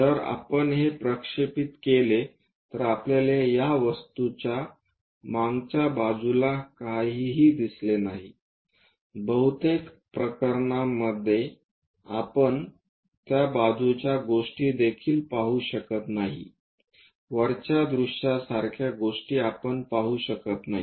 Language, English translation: Marathi, If we project it we cannot see anything backside of that object, we cannot even see the side things in most of the cases, we cannot see anything like top view things only